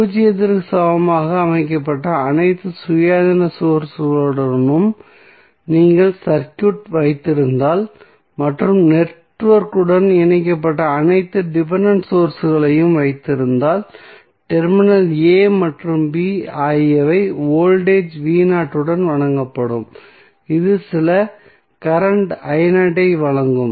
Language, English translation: Tamil, If you have circuit with all independent sources set equal to zero and the keeping all the dependent sources connected with the network the terminal a and b would be supplied with voltage v naught which will supply some current i naught